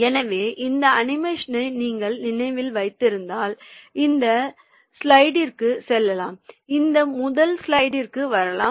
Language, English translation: Tamil, so if you remember this animation, then we can go to this slide